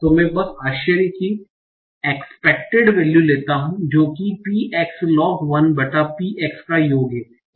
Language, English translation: Hindi, So, I just take the expected value of surprise, that is summation over px, log 1 by px